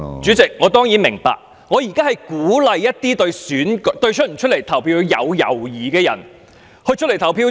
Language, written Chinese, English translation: Cantonese, 主席，我當然明白，我現在是鼓勵一些對投票有猶豫的人出來投票。, President I certainly understand your point . Now I am encouraging those who are hesitant to vote to come out and cast their votes